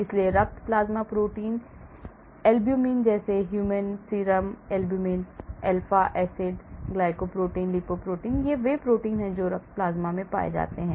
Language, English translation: Hindi, so blood plasma proteins are albumin like human serum albumin, alpha acid glycoprotein, lipoprotein these are the proteins found in the blood plasma